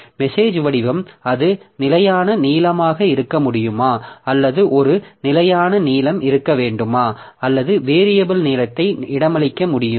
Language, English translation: Tamil, So, message size, the message format can it be a fixed length or is it needed that there should be a fixed length or can I accommodate variable length also